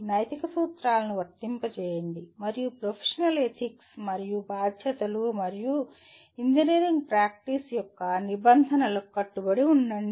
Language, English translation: Telugu, Apply ethical principles and commit to professional ethics and responsibilities and norms of the engineering practice